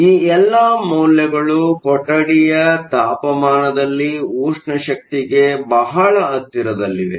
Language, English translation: Kannada, All of these numbers are very close to the thermal energy at room temperature